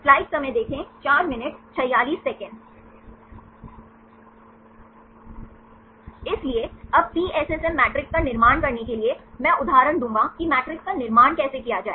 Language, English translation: Hindi, So, now to construct PSSM matrix, I will give the examples how to construct the matrices